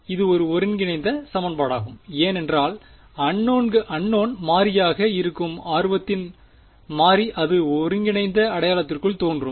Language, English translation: Tamil, It is an integral equation why because the variable of a interest which is the unknown variable is it appearing inside the integral sign